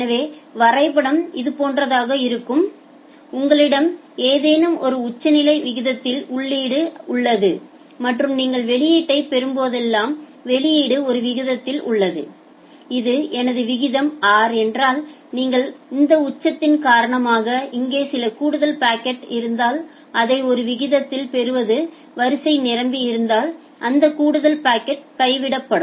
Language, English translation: Tamil, So, the diagram would be something like this that you have an input of something at say some peak rate and whenever you are getting the output the output is having at a say this is my rate r, if this is my rate r then you are getting it at a rate if there is some additional packet here due to this peak those additional packet gets dropped if the queue becomes full